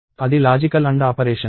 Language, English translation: Telugu, That is a logical AND operation